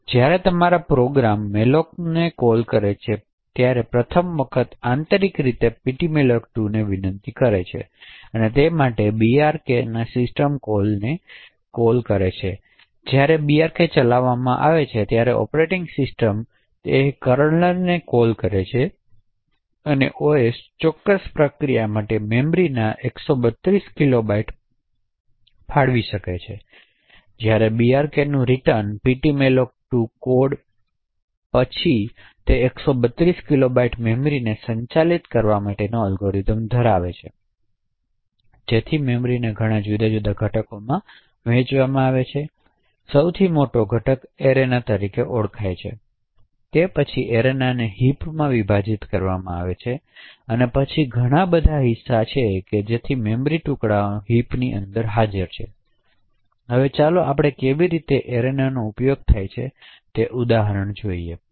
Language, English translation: Gujarati, So whenever your program invokes malloc for the first time internally ptmalloc2 could invoke the brk system call of brk, so when brk gets executed it causes really operating systems kernel to execute and the OS would allocate 132 kilobytes of memory for that particular process when brk returns the ptmalloc code would then have algorithms to manage that 132 kilobytes of memory, so that memory is divided into multiple different components, so the largest component is known as the arena, the arena is then split into heaps and then there are many chunks, right